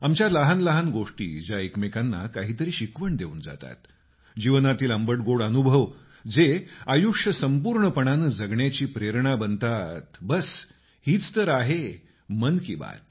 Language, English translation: Marathi, Little matters exchanged that teach one another; bitter sweet life experiences that become an inspiration for living a wholesome life…and this is just what Mann Ki Baat is